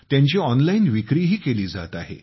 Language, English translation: Marathi, They are also being sold online